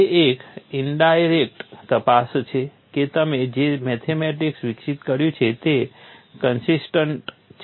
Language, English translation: Gujarati, It is an indirect check that the mathematics what you have developed is consistent, there are no contradictions